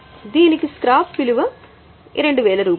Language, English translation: Telugu, The scrap value is 5,000